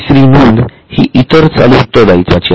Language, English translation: Marathi, The third item is non current liabilities